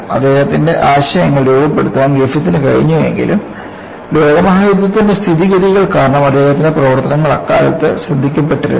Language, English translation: Malayalam, Even though, Griffith was able to formulate his ideas, his work was not noticed at that time due to the exigencies of the world war